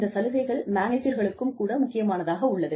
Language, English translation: Tamil, And, benefits are important, to managers also